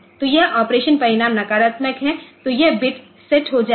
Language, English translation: Hindi, So, this is s so if the operation result is negative then this bit will be set